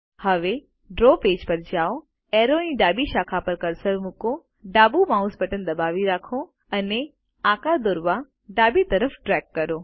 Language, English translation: Gujarati, Now, move to the draw page, place the cursor on the left branch of the arrow, hold the left mouse button and drag left to draw the shape